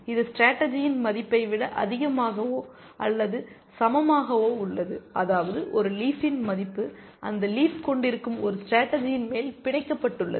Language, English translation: Tamil, It is greater than or equal to the value of the strategy, which means the value of a leaf is an upper bound on a strategy in which contains that leaf